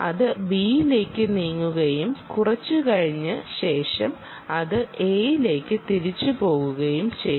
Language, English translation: Malayalam, ok, it will move to b state and after some period it will revert back to a right